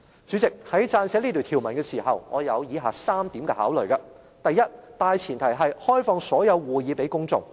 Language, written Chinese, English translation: Cantonese, 主席，在撰寫這條文的時候，我有以下3點考慮：第一、大前提是開放所有會議予公眾。, President in drafting this rule I have considered three factors . First the premise is that all meetings should be open to the public